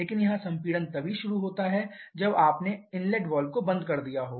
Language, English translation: Hindi, But here compression can start only when you have closed the inlet valve